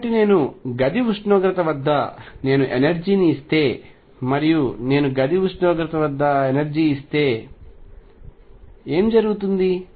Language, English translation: Telugu, So, what happens is if I give energy of the order of room temperature, and if I give the energy of room temperature